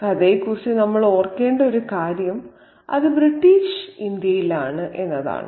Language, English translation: Malayalam, And one thing we should remember about the story is that it is set in British India